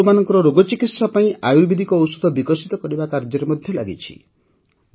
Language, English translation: Odia, It is engaged in developing Ayurvedic Medicines for the treatment of animal diseases